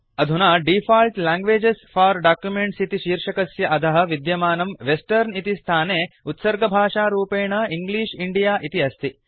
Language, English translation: Sanskrit, Now under the headingDefault languages for documents, the default language set in the Western field is English India